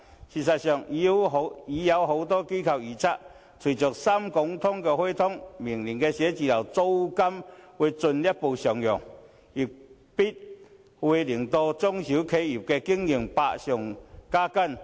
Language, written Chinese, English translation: Cantonese, 事實上，已有多間機構預測，隨着"深港通"開通，明年寫字樓的租金會進一步上揚，必會令中小企業的經營百上加斤。, In fact various organizations have predicted that following the implementation of the Shenzhen - Hong Kong Stock Connect office rents will further rise next year which will certainly increase the operation hardship of small and medium enterprises